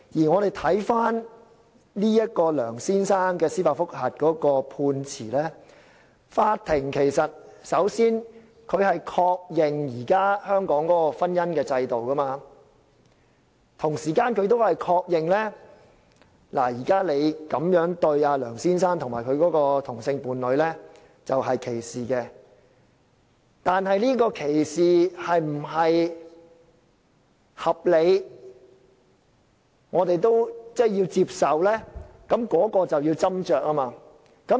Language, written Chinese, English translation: Cantonese, 我們回看這位梁先生提出的司法覆核的判詞，法庭首先確認香港現時的婚姻制度，同時亦確認這樣對待梁先生及其同性伴侶屬於歧視，但這種歧視是否合理及令我們接受的呢？, Let us look at the Judgment passed on the judicial review filed by this Mr LEUNG . The Court first affirmed the existing marriage system in Hong Kong and at the same time established that the treatment given to Mr LEUNG and his same - sex partner constituted discrimination . But is such discrimination reasonable and acceptable to us?